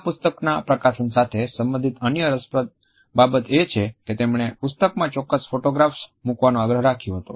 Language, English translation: Gujarati, Another interesting aspect which is related with the publication of this book is the fact that he had insisted on putting certain photographs in the book